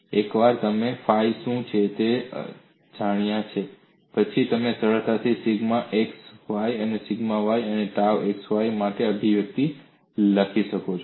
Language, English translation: Gujarati, I is not getting into those details, and once you know what is phi, you can easily write the expression for sigma x, sigma y and tau xy